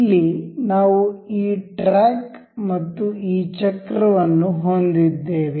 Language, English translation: Kannada, Here, we have this track and this wheel